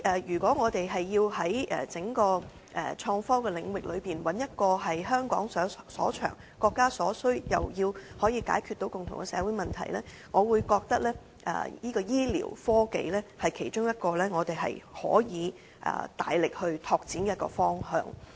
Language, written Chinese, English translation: Cantonese, 如果我們要在整個創科領域發展一個香港所長、國家所需的範疇，亦要解決到共同的社會問題，我認為醫療科技是其中一個我們可以大力擴展的方向。, In the development of innovation technology if we have to develop an area which Hong Kong is good at is what the country needs and can resolve the common social problems I think medical technology is one of the directions that we can greatly expand